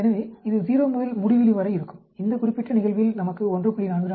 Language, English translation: Tamil, So, it ranges from 0 to infinity, in this particular case we got 1